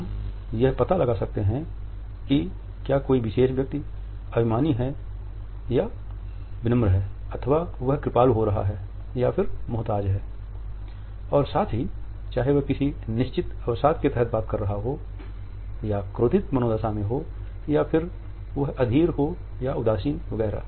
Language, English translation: Hindi, We can make out whether a particular individual is humble or arrogant or is being condescending or too demanding etcetera and at the same time, whether one is talking under certain depression or is in angry mode whether one is impatient or indifferent etcetera